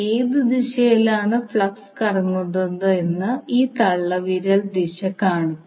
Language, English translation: Malayalam, So this thumb direction will show you how and in what direction you are flux is rotating